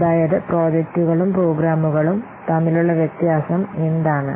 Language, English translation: Malayalam, So, that's what is the difference between projects and programs